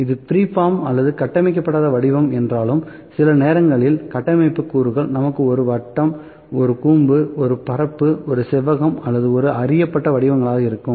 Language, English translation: Tamil, Though this is free form or unstructured form, sometimes structure components are like we have a circle, a cone, a plane, a rectangle or when these things are known